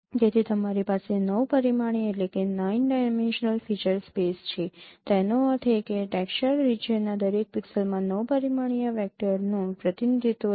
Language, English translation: Gujarati, That means every pixel in that textured region has a nine dimensional vector representation